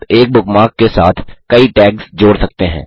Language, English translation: Hindi, * You can associate a number of tags with a bookmark